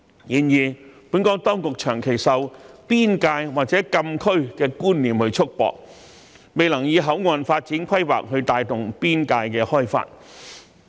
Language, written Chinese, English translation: Cantonese, 然而，本港當局卻長期受"邊界"或"禁區"的觀念束縛，未能以口岸發展規劃帶動邊界開發。, However the Hong Kong authorities have for a long time limited themselves by the concept of border or closed areas and thus failed to drive border development with port development planning